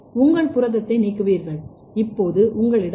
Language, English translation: Tamil, So, you will remove your protein now you have a DNA fragment only